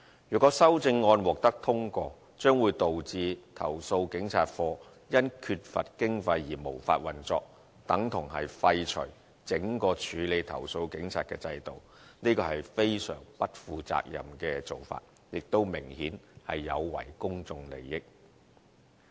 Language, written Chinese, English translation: Cantonese, 如果修正案獲得通過，將會導致投訴警察課因缺乏經費而無法運作，等同廢除整個處理投訴警察的制度，這是非常不負責任的做法，亦明顯有違公眾利益。, If this amendment is passed CAPO will be unable to operate due to lack of funding and this will amount to abolishing the entire police complaints system . This is a highly irresponsible approach and is obviously against public interests